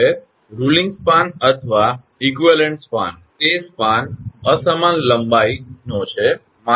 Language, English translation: Gujarati, Now ruling span or equivalent span; that is spans of unequal length